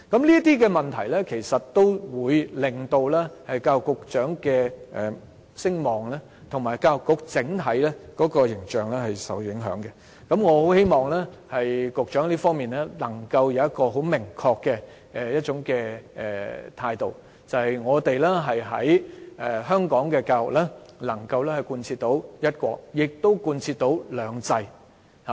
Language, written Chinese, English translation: Cantonese, 這些問題其實也令教育局局長的聲望及教育局的整體形象受到影響，我希望教育局局長在這方面能夠展現明確的態度，顯示香港的教育既能貫徹"一國"，亦能貫徹"兩制"。, These issues have tainted the reputation of the Secretary for Education and the overall image of the Education Bureau . I hope the Secretary can be adamant that education in Hong Kong is in line with the concept of one country and also two systems